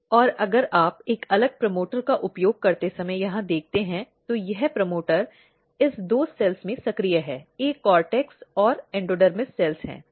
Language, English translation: Hindi, And if you look here when you use a different promoter, this promoter is active in this two cells, one is the cortex and endodermis cells